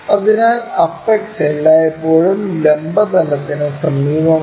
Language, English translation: Malayalam, So, the apex always be near to vertical plane